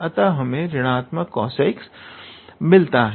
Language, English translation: Hindi, So, hence we are getting minus of cos x